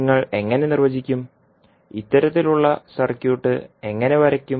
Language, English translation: Malayalam, How you will define, how you will draw this kind of circuit